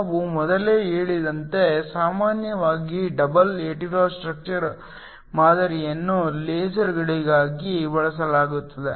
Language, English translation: Kannada, As we mentioned earlier usually a double hetero structure model is used for lasers